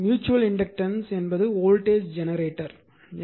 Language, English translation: Tamil, So, mutual inductance and voltage generator